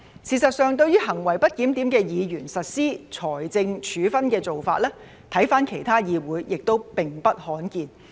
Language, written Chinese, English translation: Cantonese, 事實上，對於行為不檢點的議員實施財政處分的做法，回看其他議會也並不罕見。, As a matter of fact the practice of imposing financial penalties on misbehaved Members is not uncommon in other parliaments